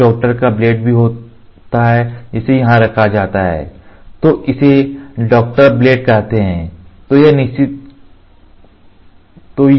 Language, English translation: Hindi, There is also a doctor’s blade which is kept here then it is called as doctor blade doctor blade ok